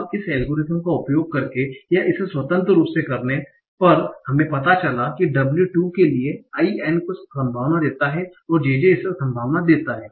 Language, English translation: Hindi, Now suppose by using this algorithm or doing it independently, you found out that for W2, IN gives some probability and JJ gives some probability